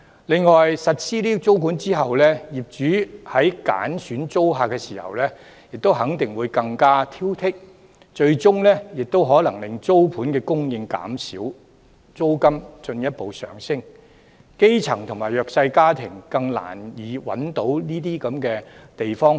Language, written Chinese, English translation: Cantonese, 另外，實施租管後，業主在揀選租客的時候，肯定會更加挑剔，最終亦可能令租盤供應減少，帶動租金進一步上升，基層及弱勢家庭因而更難找到合適的居所。, Moreover after the implementation of tenancy control landlords will definitely be more picky when choosing tenants eventually reducing the supply of rental units and thus pushing rental to rise further . The grass roots and disadvantaged families will therefore find it even harder to locate suitable dwellings